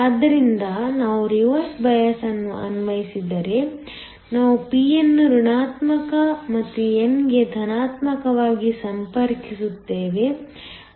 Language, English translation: Kannada, So if we apply a reverse bias, we connect the p to the negative and n to the positive